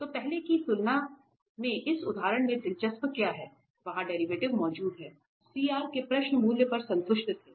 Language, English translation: Hindi, So, what is interesting in this example as compared to the earlier one, there the derivative exists, the CR questions were satisfied at origin